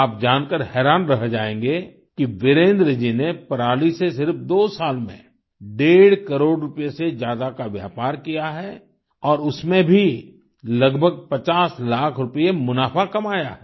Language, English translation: Hindi, You will be amazed to know that in just two years, Virendra ji has traded in stubble in excess of Rupees Two and a Half Crores and has earned a profit of approximately Rupees Fifty Lakhs